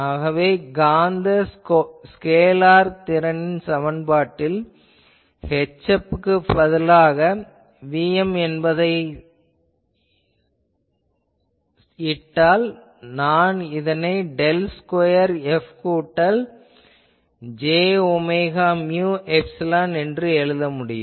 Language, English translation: Tamil, So, putting now the defining equation of the magnetic scalar potential Vm in place of H F, I can write del square F plus j omega mu epsilon